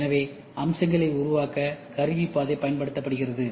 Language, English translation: Tamil, So, the tool path we will be used to make the features